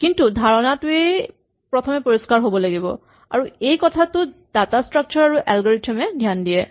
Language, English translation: Assamese, But the idea itself has to be clear and that is where data structures and algorithm start